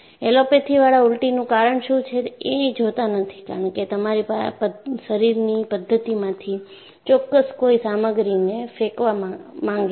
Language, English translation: Gujarati, They do not look at what causes vomiting, because the body wants to throw certain stuff from your system